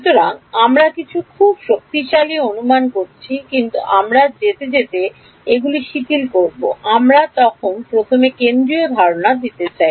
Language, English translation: Bengali, So, we are making some very strong assumptions, but we will relax these as we go we want to just give the central idea first then we can generalize it